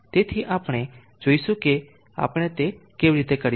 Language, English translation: Gujarati, So we will see how do we go about doing that